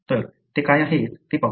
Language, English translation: Marathi, So, let us see what they are